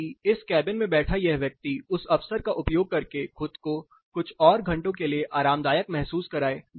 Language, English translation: Hindi, So, that this person sitting in this cabin is going to use that opportunity some time or the other to make himself comfortable for a few more hours